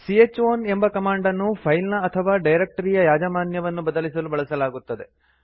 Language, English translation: Kannada, c h own command is used to change the ownership of the file or directory